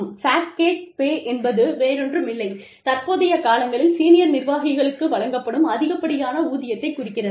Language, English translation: Tamil, Fat cat pay is nothing but, the exorbitant salaries, that are given to senior executives, these days